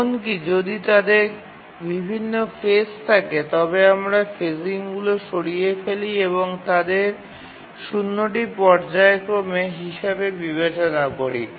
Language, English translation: Bengali, Even if they have different phasing we just remove the phasing and consider there is to be zero phasing